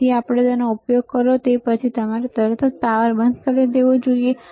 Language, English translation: Gujarati, So, after you use it, right after you use it ok, you should immediately switch off the power